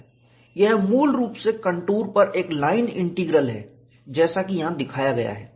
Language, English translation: Hindi, It is essentially a line integral, taken over the contour, as shown here